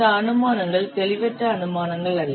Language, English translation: Tamil, So these assumptions are not vague assumptions